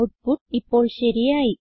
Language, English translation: Malayalam, The output is now correct